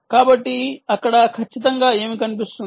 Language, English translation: Telugu, so what exactly shows up there